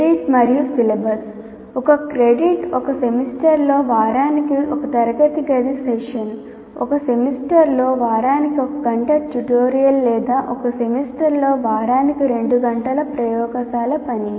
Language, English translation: Telugu, Once again, one credit is one classroom session per week over a semester, one hour of tutorial per week over a semester or two hours of laboratory work per week over a semester